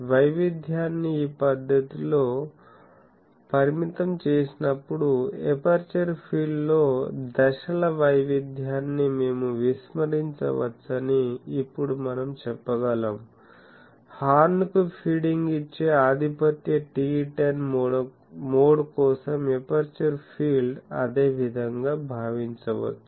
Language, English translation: Telugu, Now we can say that, when the case variation is restricted in this manner the so, that we can neglect the phase variation in aperture field, the aperture field may be assumed to the same as that for dominant TE10 mode feeding the horn